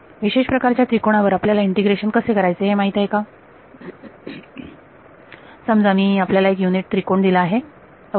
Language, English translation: Marathi, Do we know how to integrate over a special kind of triangle, supposing I give you a unit triangle ok